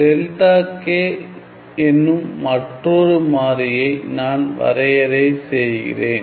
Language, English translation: Tamil, Let me just also define another variable called delta k